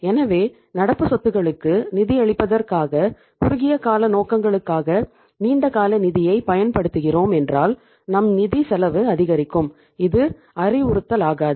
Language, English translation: Tamil, So it means if we are using the long term funds for the short term purposes for funding the current assets our cost of funds is increasing which is not advisable